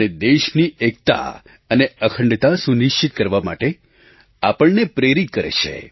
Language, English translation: Gujarati, It also inspires us to maintain the unity & integrity of the country